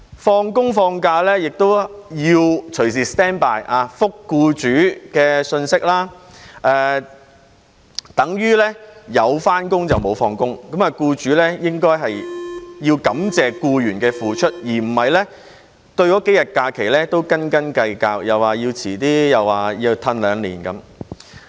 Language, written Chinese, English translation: Cantonese, 放工、放假亦要隨時 stand by， 回覆僱主的信息，這等於有返工、無放工，僱主應該感謝僱員的付出，而不是對這數天假期斤斤計較，說要推遲或要延後兩年。, Employees need to stand by at all times after work or during holidays to reply employers messages . They virtually only have the time for starting work but none for going off work . Employers should be thankful to the efforts made by employees and should not haggle over these few days of holidays or propose to postpone or defer the increase for two years